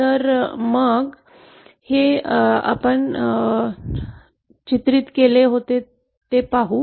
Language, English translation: Marathi, So let us see how it translates graphically